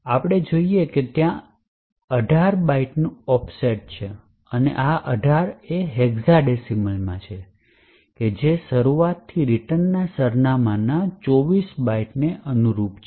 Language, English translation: Gujarati, So, we see that there is an offset of 18 bytes and this 18 is in hexadecimal which corresponds to 24 bytes offset from the start of the buffer to the return address